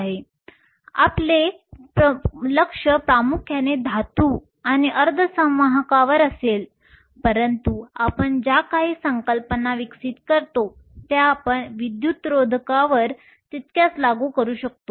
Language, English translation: Marathi, Our focus will be mainly on metals and semiconductors, but whatever concepts we develop we can equally apply them to insulators